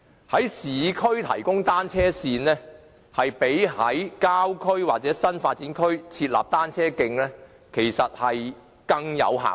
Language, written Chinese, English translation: Cantonese, 在市區提供單車線，較在郊區或新發展區設立單車徑，更有效益。, The provision of cycle lanes in the urban areas is more cost - effective than designating cycle tracks in the rural areas or new development areas